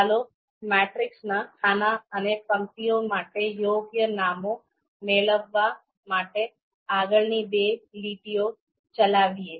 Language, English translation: Gujarati, Let’s execute next two lines to get the appropriate names for these columns for the matrix and the rows of the matrix